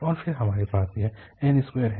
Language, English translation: Hindi, And then we have this n square there